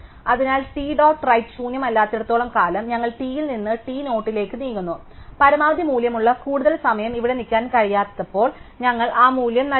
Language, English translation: Malayalam, So, as long as right t dot right is not nil, we move from t to t dot right and when we cannot move any we are at the maximum value, so we return that value